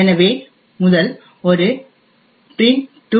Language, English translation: Tamil, So let us open the first one that is a print2